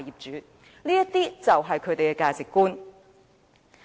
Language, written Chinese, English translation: Cantonese, 這些就是他們的價值觀。, Such are the values they uphold